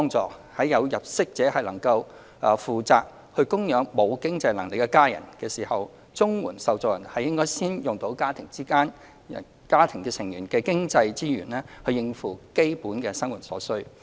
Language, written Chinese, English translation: Cantonese, 在有入息者能負責供養沒有經濟能力的家人的時候，綜援受助人應先使用家庭成員的經濟資源應付基本生活所需。, When income earners of a family can take up the responsibility of supporting their family members who have no financial means CSSA recipients should first use the financial resources of their family members to meet their basic needs